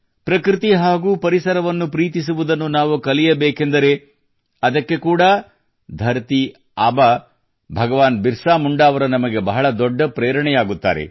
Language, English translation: Kannada, If we have to learn to love nature and the environment, then for that too, Dharati Aaba Bhagwan Birsa Munda is one of our greatest inspirations